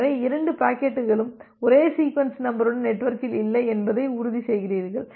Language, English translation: Tamil, So, you ensure that the no two packets are there in the network with the same sequence number